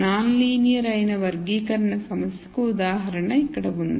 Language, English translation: Telugu, Here is an example of a classification problem which is non linear